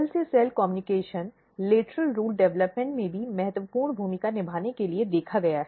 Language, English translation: Hindi, Cell to cell communication has also been shown to play important role in lateral root development